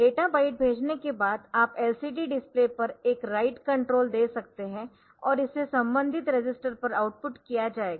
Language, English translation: Hindi, So, after sending data byte then you can you can write it and give a write control to the LED to the LCD display and it will be outputted corresponding register